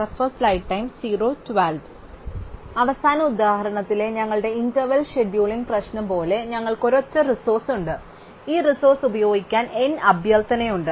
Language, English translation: Malayalam, So, like our interval scheduling problem in the last example, we have a single resource and there are n request to use this resource